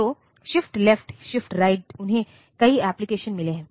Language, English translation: Hindi, So, shift left shift right, these are they have got several application